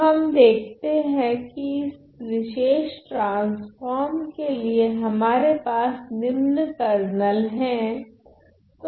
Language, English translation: Hindi, So, we see that for this particular transform, we have this following Kernel